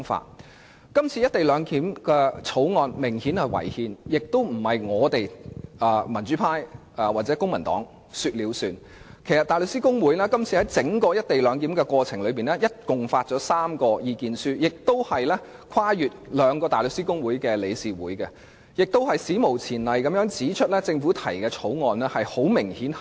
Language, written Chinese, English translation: Cantonese, 這項有關"一地兩檢"的《條例草案》顯然違憲，而且不是民主派或公民黨說了算，因為大律師公會在整個過程合共發表了3份意見書，更跨越大律師公會和香港律師會的兩個理事會，史無前例地指出政府提交的《條例草案》違憲。, This Bill relating to the co - location arrangement is apparently unconstitutional . This remark is not merely made by the pro - democracy camp or the Civic Party as the Bar Association issued three statements on the Bill during the deliberation process . The Councils of the Bar Association and of The Law Society of Hong Kong had also issued statements to unprecedentedly declare that the Bill introduced by the Government was unconstitutional